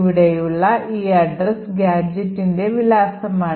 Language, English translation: Malayalam, This particular address over here is the address of the particular gadget